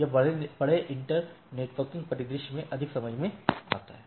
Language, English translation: Hindi, So, this makes more sense in a large inter networking scenario